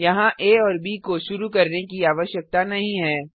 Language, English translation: Hindi, No need to initialize a and b here